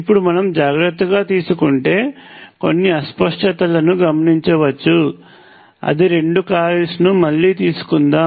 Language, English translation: Telugu, Now if you have been careful you would have notice some ambiguity that is let me take the two coils again